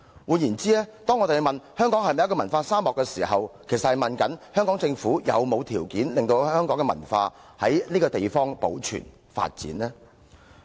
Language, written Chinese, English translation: Cantonese, 換言之，當提出香港是否文化沙漠的問題時，其實是詢問香港政府有沒有提供條件，讓香港的文化得以在此地保存和發展。, In other words when people ask whether Hong Kong is a cultural desert they actually want to know if the Hong Kong Government has ever provided the conditions necessary for preserving and developing Hong Kongs culture